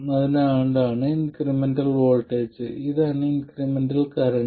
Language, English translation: Malayalam, So, this is the incremental voltage and this is the incremental current